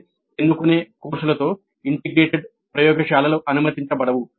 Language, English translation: Telugu, That means no integrated laboratories will be allowed with elective courses